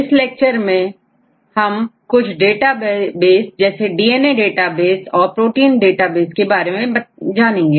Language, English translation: Hindi, So, this lecture I’ll cover few databases mainly the DNA database and protein databases right